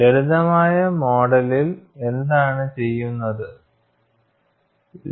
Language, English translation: Malayalam, And what was done in a simplistic model